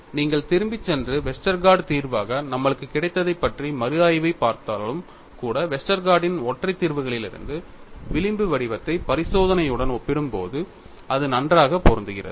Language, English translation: Tamil, See, even if you go back and look at a reinvestigation on what we have got the solution as Westergaard solution, when you compare the fringe pattern from the singular solution of Westergaard with experiment, it matched well